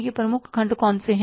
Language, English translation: Hindi, What are these major sections